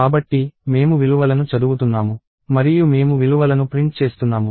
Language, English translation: Telugu, So, I am reading values and I am printing the values